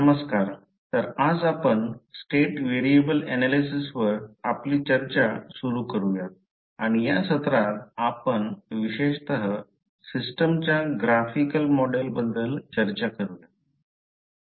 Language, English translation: Marathi, Namashkar, so today we will start our discussion on state variable analysis and particularly in this session we will discuss about the graphical model of the system